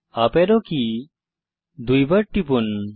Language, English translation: Bengali, Press the uparrow key twice